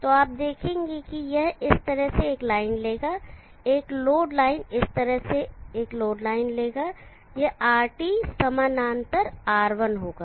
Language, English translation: Hindi, So you will see that it will take a line like this a load line will take a load line like this it will be RT parallel R1